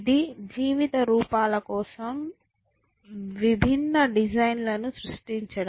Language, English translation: Telugu, A set of creating different designs for life forms